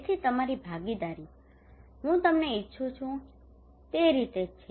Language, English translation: Gujarati, So your participation the way I want you to participate that is it